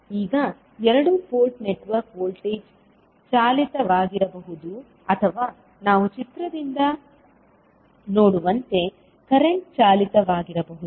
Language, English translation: Kannada, Now, the two port network may be voltage driven or current driven as we have we can see from the figure